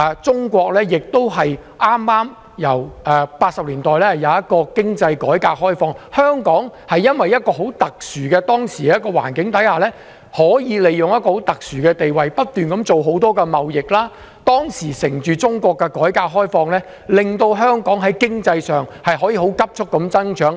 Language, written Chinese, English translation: Cantonese, 中國由1980年代開始進行經濟改革開放，在這個很特殊的環境下，香港利用其特殊的地位，把握中國改革開放的機遇，不斷進行多項貿易，令香港的經濟可以急速增長。, As China started to implement economic reform and liberalization in the 1980s Hong Kong had utilized its special position under this special circumstance to seize the opportunities of Chinas economic reform and liberalization to conduct a variety of businesses resulting in rapid economic growth of Hong Kong